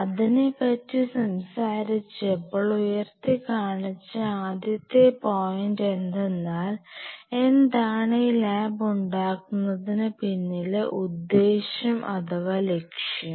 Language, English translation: Malayalam, So, while talking about it I highlighted upon the first point is, what is the objective of setting up the lab